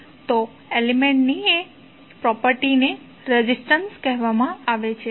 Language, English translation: Gujarati, So, that property of that element is called resistance